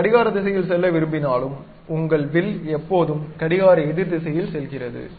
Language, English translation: Tamil, Though you would like to go in the clockwise, but your arc always be taking in the counterclockwise direction